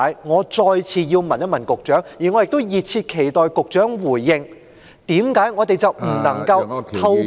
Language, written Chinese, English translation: Cantonese, 我再次問問局長，我亦熱切期待局長回應，為何我們不能夠透過......, I would like to put this question to the Secretary once again and I am eager to hear his response why cant we go by